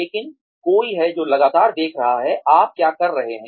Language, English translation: Hindi, But, there is somebody, who is constantly watching, what you are doing